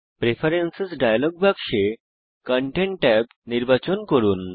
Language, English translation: Bengali, In the Preferences dialog box, choose the Content tab